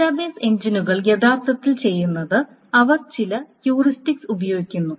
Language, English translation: Malayalam, So what the database engines actually do is that they employ certain heuristics